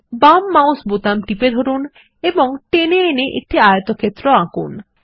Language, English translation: Bengali, Hold the left mouse button and drag to draw a rectangle